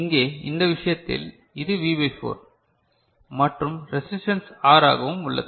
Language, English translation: Tamil, And here in this case, it is V by 4 and resistance is R